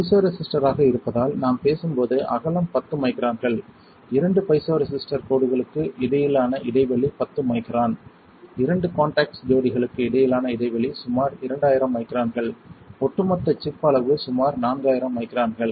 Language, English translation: Tamil, As the piezoresistor, when we talk about the width is 10 microns, spacing between two piezo resistor line is 10 micron, the spacing between two contact pair is about 2000 microns, the overall chip size is about 4000 microns which is 4 millimetre